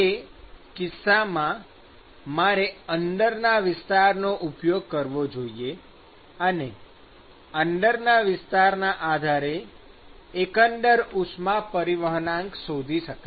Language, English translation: Gujarati, So, in that case I should use the inside area and define find out the overall heat transport coefficient based on the inside area